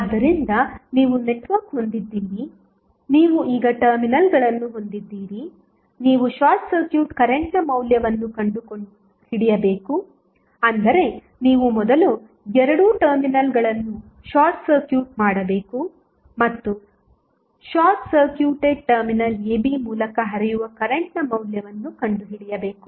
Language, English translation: Kannada, So, you have the network, you have the terminals AB now you need to find out the value of short circuit current that means you have to first short circuit both of the terminals and find out the value of current flowing through short circuited terminal AB